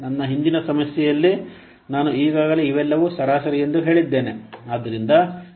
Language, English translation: Kannada, In my previous problem I have already told you that these are all what average